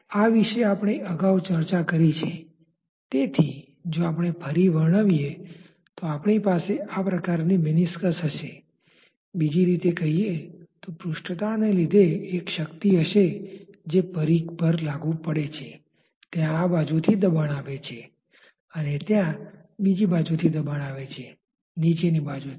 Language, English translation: Gujarati, We have discussed about this earlier, so just if we reiterate that if we have a meniscus like this loosely speaking there will be a force because of surface tension which acting over the periphery there is a pressure acting from this side, there is a pressure acting from the other side the bottom side